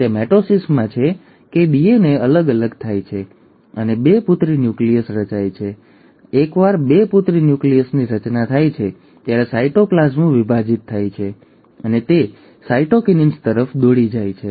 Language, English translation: Gujarati, And it is in mitosis that the DNA gets separated and two daughter nuclei are formed, and once the two daughter nuclei has been formed, the cytoplasm divides, and that leads to cytokinesis